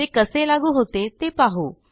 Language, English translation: Marathi, Let us see how it is implemented